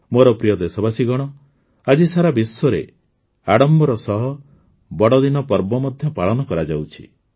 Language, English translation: Odia, My dear countrymen, today the festival of Christmas is also being celebrated with great fervour all over the world